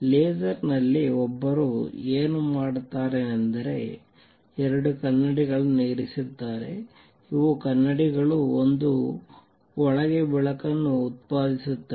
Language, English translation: Kannada, What one does in a laser is puts two mirrors, these are mirrors and generates a light inside